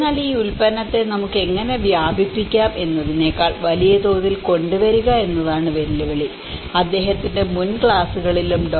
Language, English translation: Malayalam, But the challenge is to bring in much bigger scale how we can diffuse this product so, in his previous classes also Dr